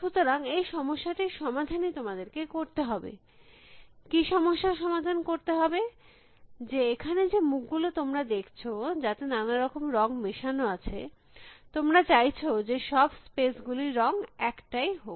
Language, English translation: Bengali, And so that is a problem that you have solve, what is the problem you have to solve that, unlike these faces that you can see here, which have mixed up colors, you want all the spaces to have only one color